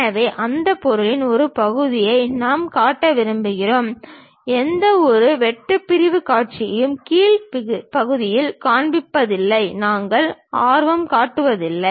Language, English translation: Tamil, So, only part of that object we would like to really show; we are not interested about showing any cut sectional view at bottom portion